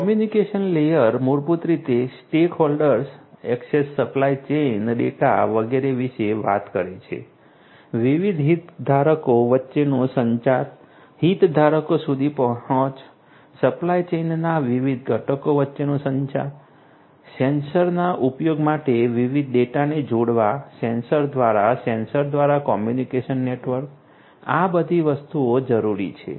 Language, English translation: Gujarati, Communication layer basically talks about stakeholder access supply chain data etcetera etcetera, the communication between the different stakeholders access to the stakeholders, communication between the different components of the supply chain, connecting different data to the use of sensors from the sensors through the communication network, all of these things are required